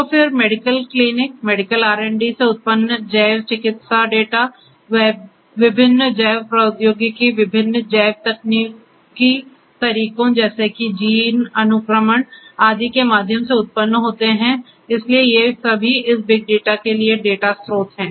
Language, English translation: Hindi, So, then bio medical data generated from the medical clinics, medical R and Ds you know through different biotechnological you know different bio technological methods such as gene sequencing etcetera so all of these are data sources for this big data